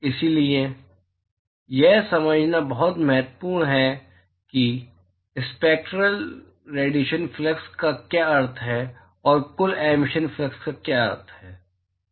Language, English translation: Hindi, So, it is very important to understand, what is meant by the spectral hemispherical flux, and what is meant by the total emission flux